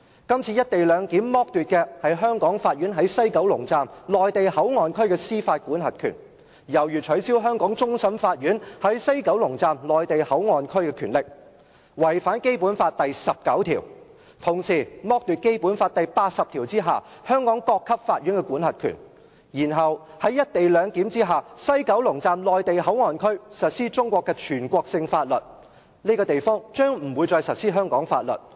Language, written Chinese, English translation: Cantonese, 這次"一地兩檢"剝奪香港法院在西九龍站內地口岸區的司法管轄權，猶如取消香港終審法院在此口岸區的權力，違反《基本法》第十九條，並同時剝奪《基本法》第八十條下香港各級法院的管轄權；然後在"一地兩檢"下，西九龍站內地口岸區實施中國的全國性法律，而不是香港法律。, The co - location arrangement in question strips the Hong Kong courts of the jurisdiction they have over the Mainland Port Area in the West Kowloon Station . This is tantamount to forfeiting the power of the Hong Kong Court of Final Appeal over this port area in contravention of Article 19 of the Basic Law and the judicial power of the Hong Kong courts at all levels under Article 80 of the Basic Law . Under the co - location arrangement national laws instead of Hong Kong laws apply to the Mainland Port Area in the West Kowloon Station